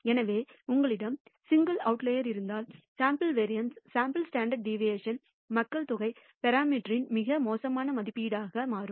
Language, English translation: Tamil, So, if you have a single outlier, the sample variance, our sample standard deviation can become very poor estimate of the population parameter